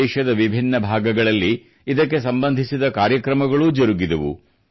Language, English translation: Kannada, Across different regions of the country, programmes related to that were held